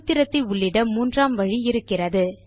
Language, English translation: Tamil, There is a third way of writing a formula